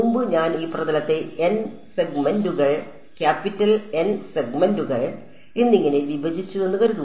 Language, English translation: Malayalam, Earlier supposing I broke up this surface into N segments, capital N segments